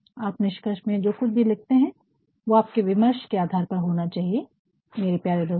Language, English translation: Hindi, You whatever you write in the conclusion, that actually should be based on what you have done in the discussion my dear friend